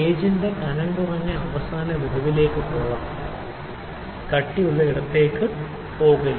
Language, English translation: Malayalam, The thinner end of the gauge can go in to the gap and at a thicker body will not go